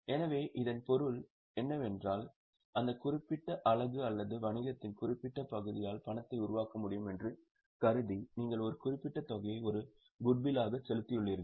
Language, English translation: Tamil, So, what it means is you have paid for a certain amount as a goodwill, assuming that that particular unit or that particular part of the business would be able to generate cash